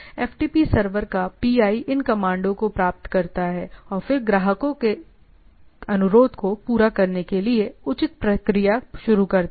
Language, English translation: Hindi, The FTP server PI receives this command and then initiates the appropriate processes to receive to service the client request right